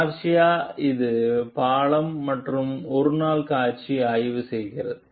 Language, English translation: Tamil, Garcia it is the bridge and performs a one day visual inspection